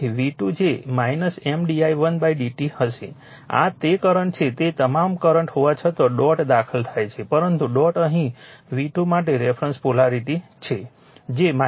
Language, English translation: Gujarati, So, v 2 will be minus M into d i1 upon d t; this is that the current all though current is entering into the dot, but dot is here a reference polarity for v 2 that is minus